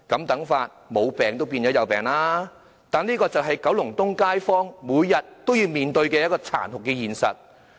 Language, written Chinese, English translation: Cantonese, 但是，這便是九龍東街坊每天也要面對的殘酷現實。, However it is the harsh reality residents of Kowloon East have to face every day